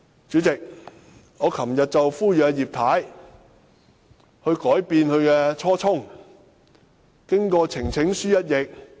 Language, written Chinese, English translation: Cantonese, 主席，我昨天呼籲葉太改變初衷，支持提交呈請書。, President yesterday I called upon Mrs IP to change her mind and support the presentation of petition